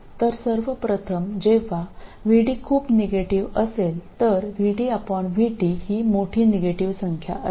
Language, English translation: Marathi, So first of all when VT is very negative that is VD by VT is a large negative number